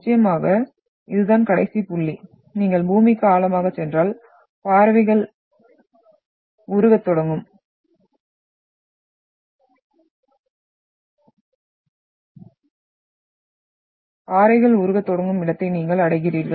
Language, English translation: Tamil, And of course, this is the last point, if you go deeper into the earth you are having, you are reaching into the where the melting of rocks will start